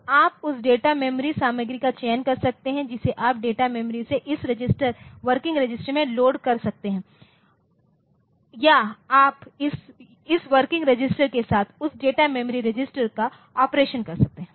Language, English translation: Hindi, So, you can select the data memory content you can load from the data memory into this register the working register or you can do some operation with that data register with this working register and this data memory register